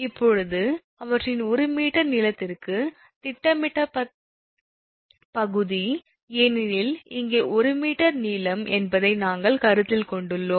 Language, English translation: Tamil, Now, the projected area per meter length of them, because we have consider here 1 meter length, here also 1 meter length, here also 1 meter length, we have considered 1 meter length right